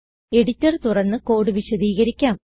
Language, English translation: Malayalam, So I will open the editor and explain the code